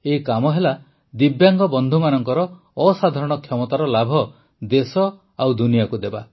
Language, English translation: Odia, It has served to bring the benefit of the extraordinary abilities of the Divyang friends to the country and the world